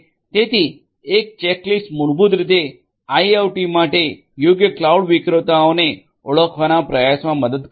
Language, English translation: Gujarati, So, a checklist will help in basically trying to identify the right cloud vendor for IIoT